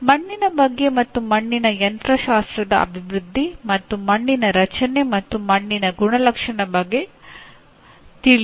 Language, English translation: Kannada, Know about soil and development of soil mechanics and soil formation and characteristics of soil